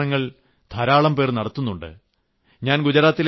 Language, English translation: Malayalam, And such experiments are done by many people